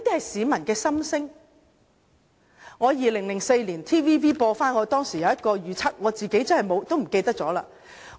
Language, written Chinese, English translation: Cantonese, TVB 重播我在2004年的一個預測，我自己也忘記了。, TVB replayed a prediction I made in 2004 . I had forgotten it myself